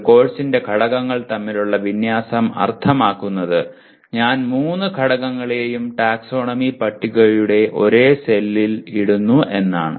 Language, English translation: Malayalam, Alignment among the elements of a course means that I am putting all the three elements in the same cell of the taxonomy table